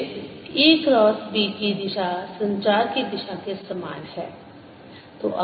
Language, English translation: Hindi, then e cross b is has the same direction as direction of propagation